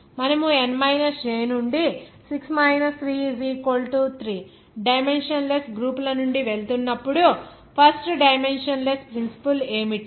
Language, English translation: Telugu, What is the principle that first dimensionless since you are going to from n – j that is 6 3 3 dimensionless groups